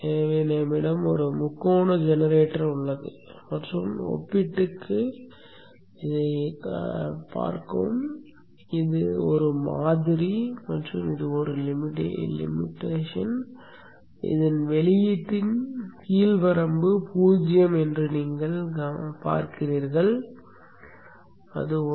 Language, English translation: Tamil, So we have a triangle generator, a thumb pair and its model and a limiter, the output of which you see that the lower limit is 0, upper limit is set at 1